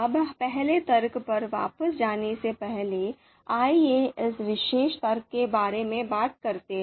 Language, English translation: Hindi, Now let’s before we go back to the first argument, let us talk about this particular argument byrow